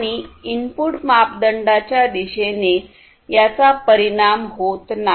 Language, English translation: Marathi, And these are not affected by the direction of the input parameter